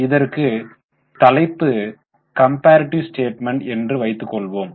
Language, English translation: Tamil, So, we will give a title, this is a comparative statement